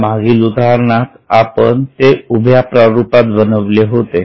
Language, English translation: Marathi, In the last case we have made a vertical form